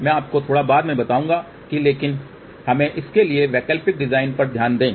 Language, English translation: Hindi, I will tell you that little later on , but let us just look at the alternate design for this also